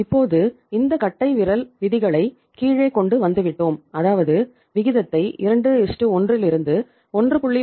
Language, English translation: Tamil, And now we have brought down these rules of thumbs to the ratio of these ratios that is from say 2:1 to 1